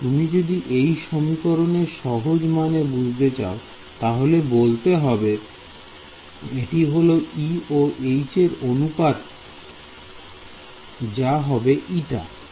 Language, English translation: Bengali, if you look at the basic meaning of this equation is that the ratio of E to H should be eta that is all